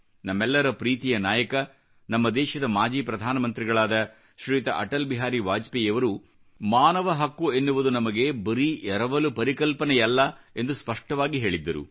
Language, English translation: Kannada, Our most beloved leader, ShriAtalBihari Vajpayee, the former Prime Minister of our country, had clearly said that human rights are not analien concept for us